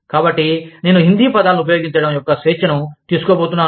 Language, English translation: Telugu, So, i am going to take the liberty, of using Hindi words